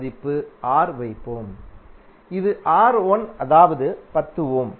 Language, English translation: Tamil, Let us put the value This is R1 that is 10 ohm